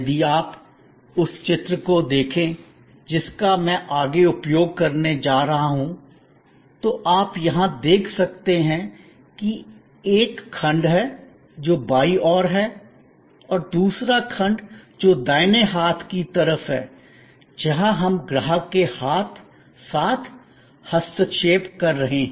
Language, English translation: Hindi, If you look at the diagram that I am going to use next, you can see here that there is a section, which is on the left hand side and another section, which is on the right hand side, where we are interfacing with the customer